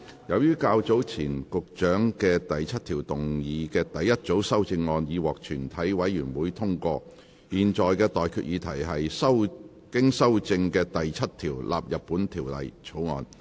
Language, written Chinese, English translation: Cantonese, 由於較早前局長就第7條動議的第一組修正案已獲全體委員會通過，我現在向各位提出的待決議題是：經修正的第7條納入本條例草案。, As the first group of amendments to clause 7 moved by the Secretary earlier on has been passed by committee of the whole Council I now put the question to you and that is That clause 7 as amended stands part of the Bill